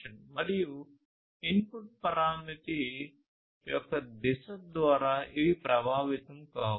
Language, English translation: Telugu, And these are not affected by the direction of the input parameter